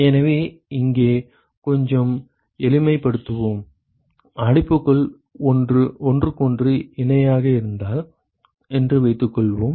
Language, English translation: Tamil, So, let us add a little bit simplification here, suppose if the enclosures are parallel to each other